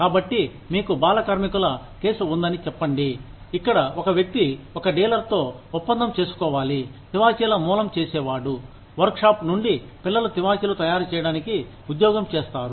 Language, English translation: Telugu, So, say, you have a case of child labor, where a person has to decide, between making a deal with a dealer, who sources carpets, from a workshop, where children are employed, to make carpets